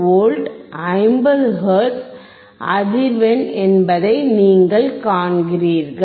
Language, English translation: Tamil, 68 V 50 hertz frequency